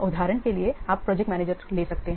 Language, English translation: Hindi, For example, you can take the project manager